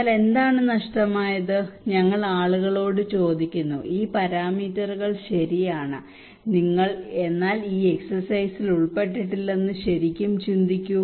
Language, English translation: Malayalam, But what is missing, we ask people that okay these parameters are fine but what did you really think that this exercise did not include